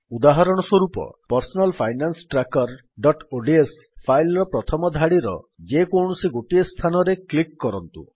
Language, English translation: Odia, For example in our personal finance tracker.ods file lets click somewhere on the first row